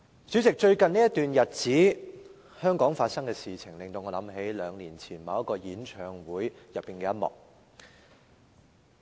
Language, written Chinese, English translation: Cantonese, 主席，最近這段日子，香港發生的事情令我想起兩年前某個演唱會的其中一幕。, President what have recently happened in Hong Kong remind me of one scene in a concert two years ago